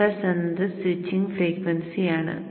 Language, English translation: Malayalam, And frequency is your switching frequency